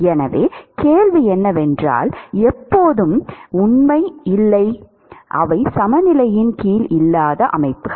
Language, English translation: Tamil, So, the question is that is not always true, there are systems where they may not be under equilibrium